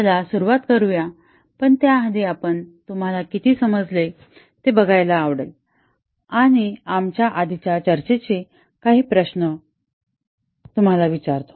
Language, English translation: Marathi, Let us get started, but before that we will just like to see how much you have understood and recollect about the previous discussions we had will just pose you few questions